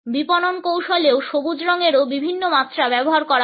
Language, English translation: Bengali, Different shades of green are also used in marketing strategy